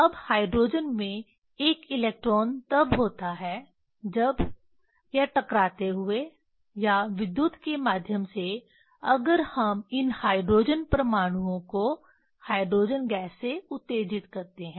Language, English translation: Hindi, Now in a hydrogen one electrons are there when either hitting or through electricity if we excite these hydrogen atoms hydrogen gas